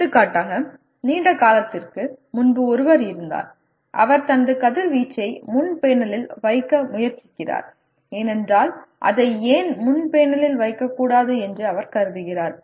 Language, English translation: Tamil, For example we had someone long back who is trying to put his heat sinks right on the front panel because he considers why not put it on the front panel